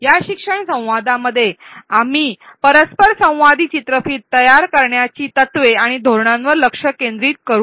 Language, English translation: Marathi, In this learning dialogue, we will focus on the principles and strategies to design interactive videos